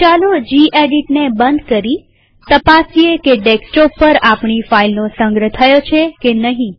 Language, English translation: Gujarati, Lets close this gedit now and check whether our file is saved on desktop or not